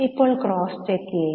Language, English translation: Malayalam, Now cross check it